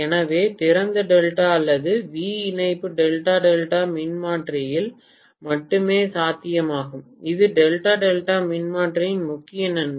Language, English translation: Tamil, So open delta or V connection is possible only in delta delta transformer that is the major advantage of delta delta transformer